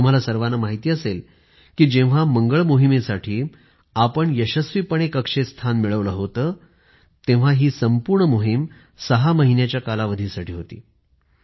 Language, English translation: Marathi, You may be aware that when we had successfully created a place for the Mars Mission in orbit, this entire mission was planned for a duration of 6 months